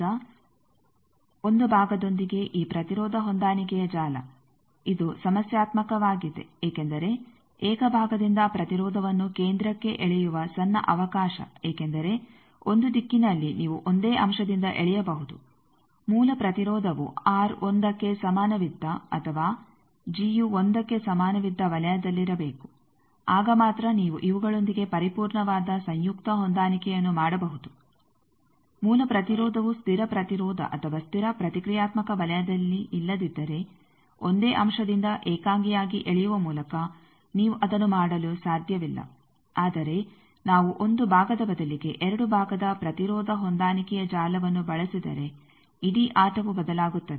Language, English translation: Kannada, Now, 1 with a single part this impedance matching network this is problematic because small chance of pulling impedance to centre by single part because of in 1 direction you can pool by a single element original impedance should be on R is equal to 1 or G is equal to 1 circle then only you can do a perfect conjugate match with these if the original impedance is not on constant resistance constant reactant circle then by pulling alone by a single element you cannot do that, but the whole game changes if we use instead of 1 part 2 part impedance matching network